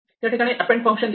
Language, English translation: Marathi, Now, this is the append function